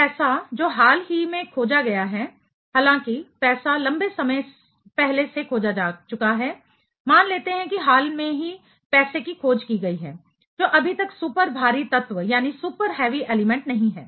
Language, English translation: Hindi, The money which has recently been discovered although money has been discovered long back, let us assume that money has been recently discovered to be an not yet identified super heavy element